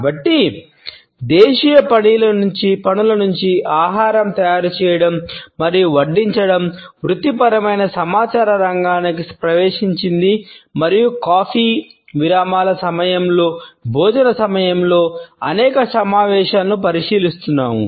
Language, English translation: Telugu, So, from a domestic chore the preparation and serving of food has entered the realm of professional communication and we look at several meetings being conducted over a lunch, during coffee breaks etcetera